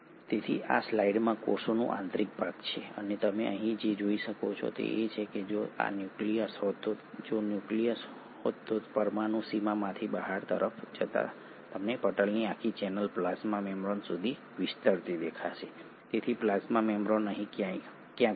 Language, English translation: Gujarati, So this is the interior of a cell in this slide and what you can see here is that starting from, so if this were the nucleus, from the nuclear boundary moving outwards you see a whole channel of membranes extending all the way up to the plasma membrane, so plasma membrane would be somewhere here